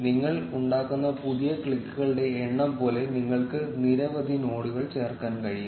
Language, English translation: Malayalam, You can add as many nodes as the number of new clicks, which you make